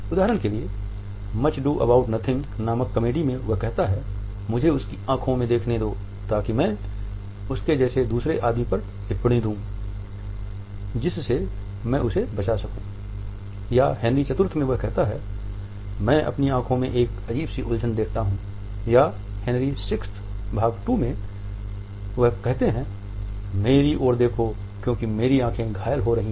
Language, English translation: Hindi, For example, in Much Ado about Nothing he says “Let me see his eyes, that when I note another man like him, I may avoid him” or in Henry IV he says “I see a strange confession in thine eye” or in Henry VI, Part II, he says “look not upon me, for thine eyes are wounding”